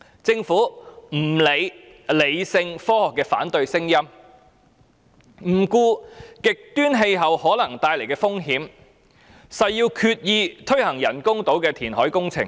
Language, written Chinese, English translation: Cantonese, 政府不理會理性科學的反對聲音，不顧極端氣候可能帶來的風險，誓要推行人工島的填海工程。, The Government takes no heed of the opposing views based on rational scientific arguments ignores the possible risks from extreme climate and vows to take forward the reclamation works for the artificial islands